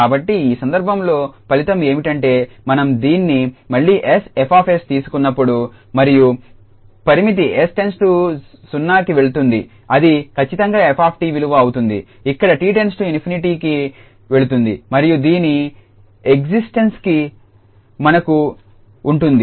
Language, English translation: Telugu, So, in that case, the result is that when we take this s F s again and get the limit s goes to 0 that will exactly be the value an f t t goes to infinity and the existence of this we have assumed already